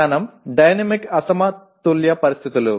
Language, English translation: Telugu, Knowledge is dynamic unbalanced conditions